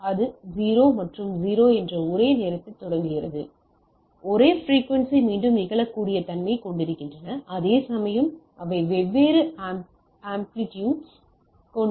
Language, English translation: Tamil, So, this is starting at the same time that is 0 and 0, having same frequency repeatability this and this whereas, they have different amplitude right